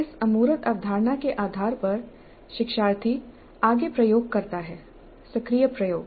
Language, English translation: Hindi, Based on this abstract conceptualization, learner does further experimentation, active experimentation